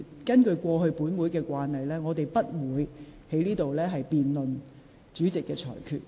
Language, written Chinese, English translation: Cantonese, 根據本會過往的慣例，議員不得在會議上辯論主席的裁決。, Based on past practices of this Council a Member shall not debate the ruling of the President at a meeting